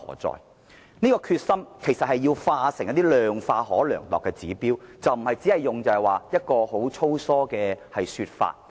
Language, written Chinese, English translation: Cantonese, 政府應將其決心量化成可量度的指標，而不是只提出一個粗疏的說法。, Instead of providing a broad - brush statement the Government should quantify its determination as measureable indicators